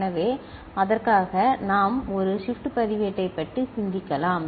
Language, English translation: Tamil, So, for that we can think of a shift register